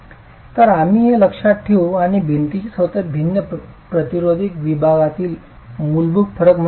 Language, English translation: Marathi, So we'll keep that in mind and use that as the fundamental difference between different resisting sections of the wall itself